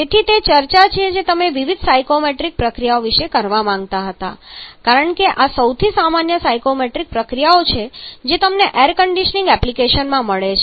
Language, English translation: Gujarati, So that is are the discussion that you wanted to have about the different psychrometric processes because these are the most common psychrometric processes that you encounter in Air Conditioning applications